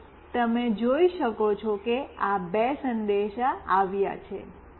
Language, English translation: Gujarati, So, you can see two messages have come